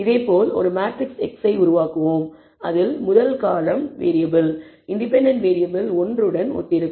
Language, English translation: Tamil, Similarly we will construct a matrix x where the first column corresponds to variable, independent variable 1